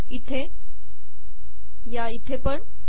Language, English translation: Marathi, Here and here